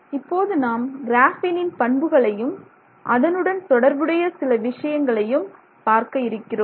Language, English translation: Tamil, So, now let's look at some properties of graphene and some interesting aspects associated with graphene